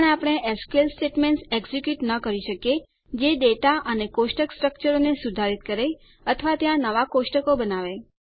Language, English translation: Gujarati, But we cannot execute SQL statements which modify data and table structures or to create new tables there